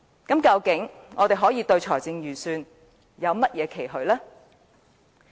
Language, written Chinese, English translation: Cantonese, 究竟我們對預算案還能有甚麼期許？, What expectations can we still have on the Budget?